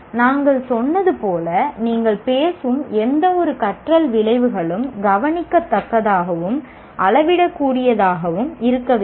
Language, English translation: Tamil, As we said, any outcome, learning outcome that you talk about should be observable and measurable